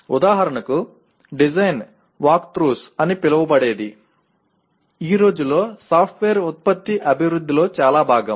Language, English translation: Telugu, For example something called design walkthroughs is a part of most of the software product development these days